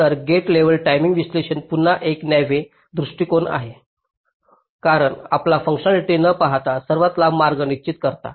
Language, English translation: Marathi, so gate level timing analysis is again a naīve approach because you determine with an longest path without looking at the functionality